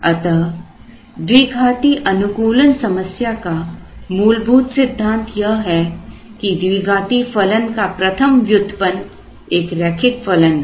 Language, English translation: Hindi, So, the fundamental principle of a quadratic optimization problem is that the first derivative of a quadratic function is a linear function